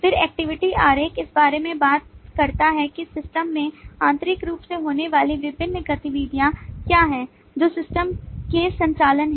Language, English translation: Hindi, then activity diagram talks about what are the different activities that internally happens in the system, what are the operations of the system